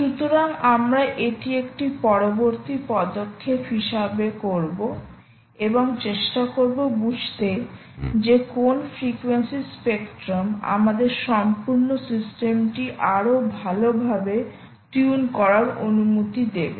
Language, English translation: Bengali, so we will do that as a next step and try and understand the frequency spectrum, ok, ah, which will allow us to tune our complete system much better